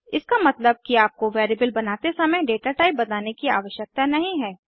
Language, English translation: Hindi, It means that you dont need to declare datatype while creating a variable